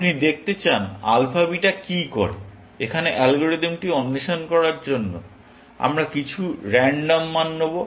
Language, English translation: Bengali, you want to see what alpha beta does; we will fill in some random values, just to explore the algorithm here